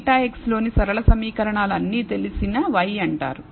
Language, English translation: Telugu, The linear equations in beta x is all known y is known